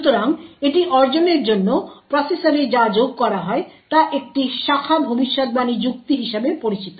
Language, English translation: Bengali, So, in order to achieve this What is added to the processor is something known as a branch prediction logic